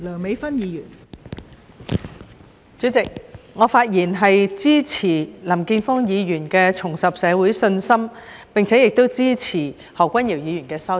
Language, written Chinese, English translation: Cantonese, 代理主席，我發言支持林健鋒議員提出的"重拾社會信心"議案，以及支持何君堯議員的修正案。, Deputy President I speak in support of Mr Jeffrey LAMs motion on Rebuilding public confidence and Dr Junius HOs amendment